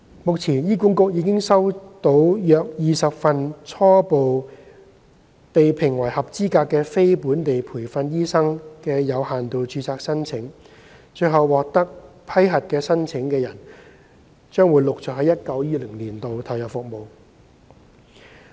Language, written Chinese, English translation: Cantonese, 目前，醫管局已經收到約20份初步被評為合資格的非本地培訓醫生的有限度註冊申請，最後獲得批核的申請人，將會於 2019-2020 年度陸續投入服務。, So far about 20 applications for positions under limited registration submitted by non - locally trained doctors to HA have preliminarily been assessed as eligible . Successful applicants will start providing services in 2019 - 2020 gradually